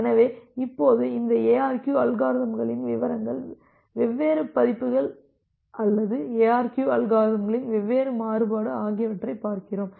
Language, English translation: Tamil, So, now onwards we look into these ARQ algorithms in details, the different versions or the different variance of ARQ algorithms